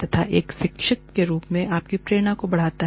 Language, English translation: Hindi, And, that enhances your motivation, as a teacher